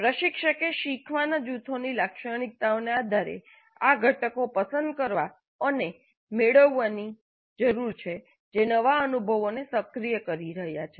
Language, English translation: Gujarati, Instructor needs to pick and match these components based on the characteristics of the learning groups